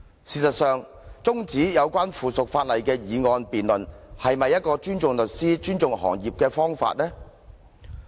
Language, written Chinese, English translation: Cantonese, 事實上，中止有關附屬法例的議案辯論，是否尊重律師和律師行業的做法？, Does adjourning the motion debate on the subsidiary legislation show respect for lawyers and the legal profession?